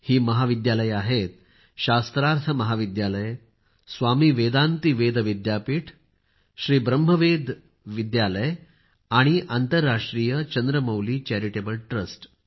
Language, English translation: Marathi, These colleges are Shastharth College, Swami Vedanti Ved Vidyapeeth, Sri Brahma Veda Vidyalaya and International Chandramouli Charitable Trust